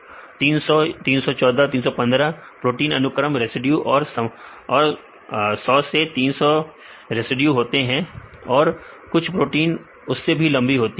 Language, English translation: Hindi, 300, 314 315 protein sequence residues and generally they are only about 100 to 300 residues and some proteins are long length